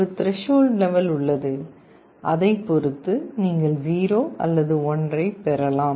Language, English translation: Tamil, There is a threshold level, which can be set and depending on that you can get either a 0 or 1